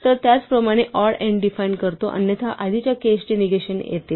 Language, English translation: Marathi, So, similarly we could say define odd n else the negation of the previous case